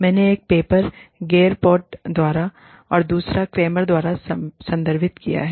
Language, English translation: Hindi, I have referred to a paper by, Gerpott, and another paper by, Kramer